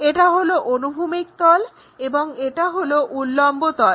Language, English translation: Bengali, This is the horizontal plane and this is the vertical plane